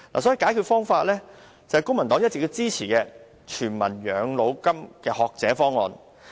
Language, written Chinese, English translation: Cantonese, 所以，解決方法是公民黨一直支持的"全民養老金"學者方案。, The Universal Old Age Pension Scholar Proposal that Civic Party has been supporting is a solution